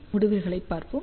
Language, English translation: Tamil, So, let us see the results